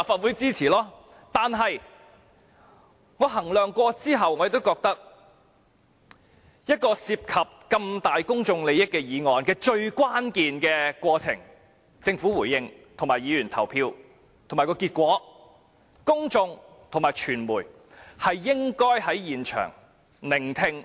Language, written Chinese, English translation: Cantonese, 然而，經考慮後，我認為一項涉及如此重大公眾利益的議案的最關鍵過程，包括政府的回應和議員的投票結果，公眾及傳媒應該在場聆聽。, Nevertheless after consideration I think members of the public and of the press should stay in the Chamber to witness the most critical process of such a motion which involves significant public interests including the replies of the Government and the voting results of Members